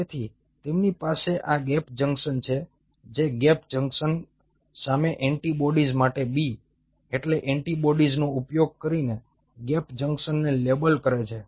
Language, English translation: Gujarati, labeling the gap junctions using antibodies a, b stand for antibodies, antibodies against gap junctions